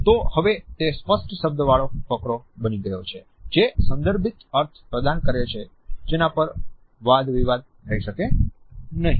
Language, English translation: Gujarati, So, now, it has become a properly worded paragraph which conveys a contextual meaning, which cannot be debated easily